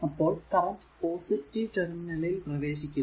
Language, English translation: Malayalam, So, this is ah this current is entering because positive terminal